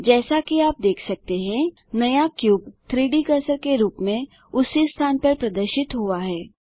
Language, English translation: Hindi, As you can see, the new cube has appeared on the same location as the 3D cursor